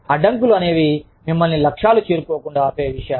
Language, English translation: Telugu, Hindrances are things, that prevent you from, reaching your goal